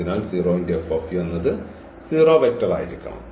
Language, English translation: Malayalam, So, F of the 0 vector must be equal to